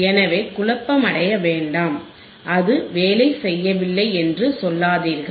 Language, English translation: Tamil, So, do not get confused and do not say that oh it is not working